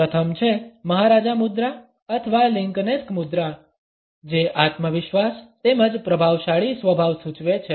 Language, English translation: Gujarati, The first is the maharaja posture or the Lincolnesque posture which suggest a confidence as well as a dominant nature